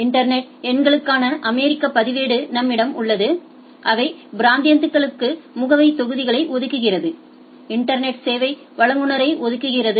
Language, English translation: Tamil, We have the American registry for internet numbers, allocates address blocks to their regions, allocated internet service providers